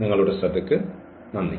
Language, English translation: Malayalam, And, thank you for your attention